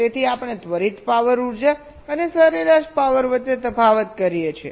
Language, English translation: Gujarati, so we distinguish between instantaneous power, energy and average power